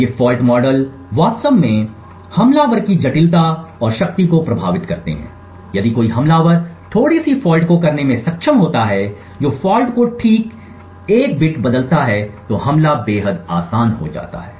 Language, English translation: Hindi, These fault models actually influence the complexity and power of the attacker now if an attacker is able to inject a bit fault that is precisely change exactly 1 bit in the fault then the attack becomes extremely easy